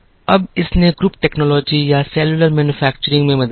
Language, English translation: Hindi, Now, this helped in what is called the group technology or cellular manufacturing